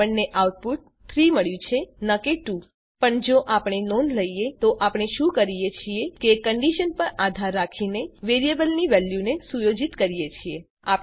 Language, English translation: Gujarati, We get the output as 3 and not 2 But if we notice, all we are doing is, setting the value of a variable depending on a condition